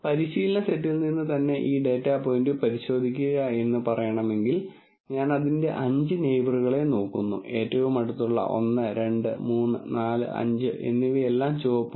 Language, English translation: Malayalam, Now if I want to let us say a check this data point from the training set itself, then I look at its five neighbors, closest 1 2 3 4 5, all of them are red